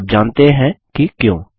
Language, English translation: Hindi, Do you know why